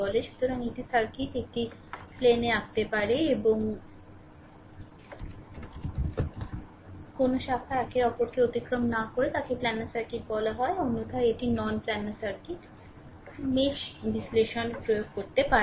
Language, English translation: Bengali, So, a circuit you can draw it in plane and with no branches crossing one another is called planar circuit otherwise it is non planar circuit you cannot apply your ah mesh analysis right